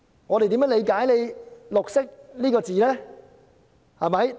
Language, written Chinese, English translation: Cantonese, 我們應如何理解"綠色"這詞呢？, How should we interpret the word green?